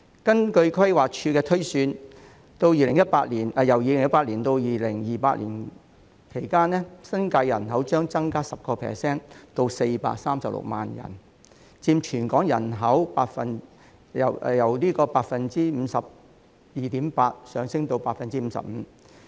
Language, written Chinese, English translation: Cantonese, 根據規劃署的推算 ，2018 年至2028年間，新界人口將增加 10% 至436萬人，佔全港人口百分比將由 52.8% 上升至 55%。, This exerts greater pressure on the traffic between the New Territories and the urban areas . The Planning Department has projected that the population of the New Territories between 2018 and 2028 will increase by 10 % to 4.36 million and the percentage of the total population of Hong Kong will rise from 52.8 % to 55 %